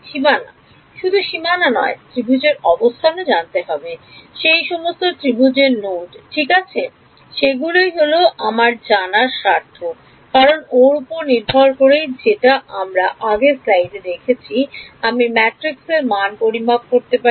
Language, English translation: Bengali, Boundaries not just boundaries the location of the triangles, the nodes of those triangles right that is of interest to me because based on that like we did in the previous slide I can calculate the matrix